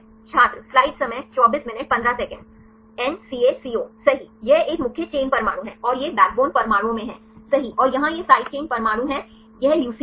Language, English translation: Hindi, N, CA, CO, right, this is a main chain atoms you and this one right the backbone atoms and here these are the side chain atoms right this is leucine